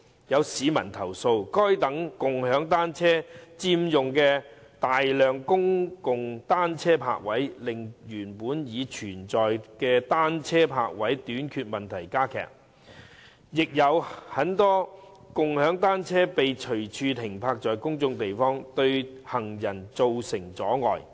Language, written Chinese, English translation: Cantonese, 有市民投訴，該等共享單車佔用了大量公共單車泊位，令原本已存在的單車泊位短缺問題加劇，亦有很多共享單車被隨處停泊在公眾地方，對行人造成阻礙。, Some members of the public have complained that such shared bicycles have occupied a large number of public bicycle parking spaces exacerbating the existing problem of shortage of bicycle parking spaces and that many shared bicycles are indiscriminately parked in public places causing obstruction to pedestrians